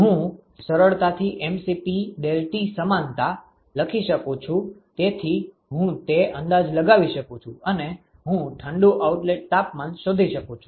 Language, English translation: Gujarati, I can do that because I can always write up a simple mCp deltaT equivalence and I can find out the cold outlet temperature